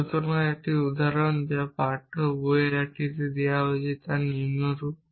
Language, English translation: Bengali, So, an example which is given in one of the text book is as follows